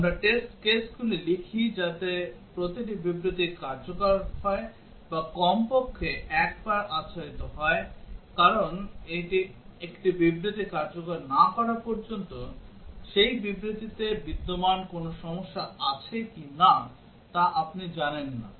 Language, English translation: Bengali, We write test cases such that every statement is executed or covered at least once, because unless a statement is executed, you do not know if there is a problem existing in that statement